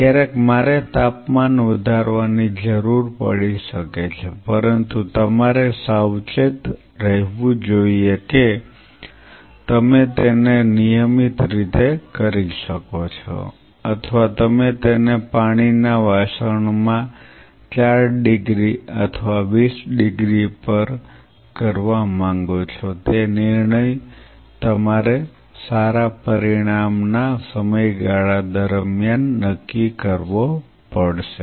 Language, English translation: Gujarati, Second thing in the same line temperature sometimes I may need to raise the temperature, but you have to be careful whether you can do it in regular you know or you want to do it in a water bath of say like you know 4 degree or you want to do it at 20 degree that decision you have to figure out over a period of time of optimization